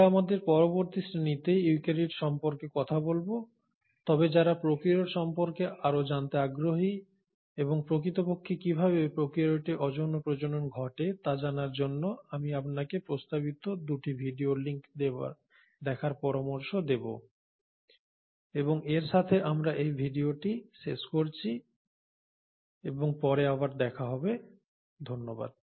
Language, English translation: Bengali, We will talk about the eukaryotes in our next class, but for those who are interested to know more about prokaryotes and how the asexual reproduction in prokaryotes really happens, I would suggest you to go through the 2 suggested video links and with that we conclude this video and we will meet again in the next one, thank you